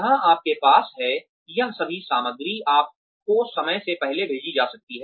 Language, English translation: Hindi, Where you have, all of this material, sent to you ahead of time